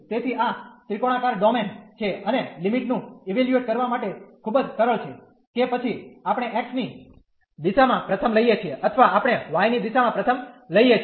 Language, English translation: Gujarati, So, this is a triangular domain and again very simple to evaluate the limits whether we take first in the direction of x or we take first in the direction of y